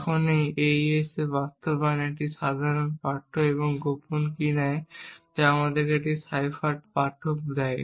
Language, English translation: Bengali, Now this AES implementation takes a plain text and the secret key and gives you a cipher text